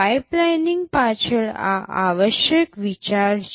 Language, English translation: Gujarati, This is the essential idea behind pipelining